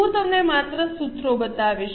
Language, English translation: Gujarati, I'll just show you the formulas